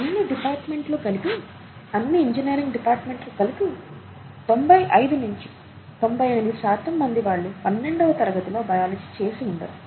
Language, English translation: Telugu, And in the case of, all departments put together, all engineering departments put together, about may be ninety eight, ninety five to ninety eight percent would not have done biology in their twelfth standard